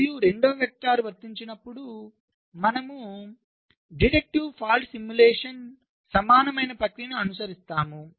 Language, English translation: Telugu, and when the second vectors applied, we follow ah process, which is very similar to the deductive fault simulation